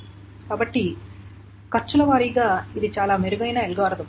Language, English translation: Telugu, So what is the cost of this algorithm